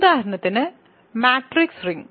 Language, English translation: Malayalam, So, matrix rings